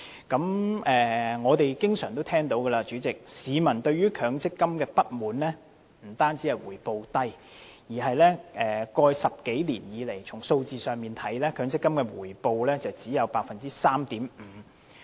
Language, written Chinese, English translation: Cantonese, 主席，我們經常聽到市民對強積金表示不滿，不但因為回報低，而且過去10多年來，從數字來看，強積金的回報率只有 3.5%。, President we often hear members of the public complain about the MPF schemes . This is not only because of the low returns . We can take a look at the figures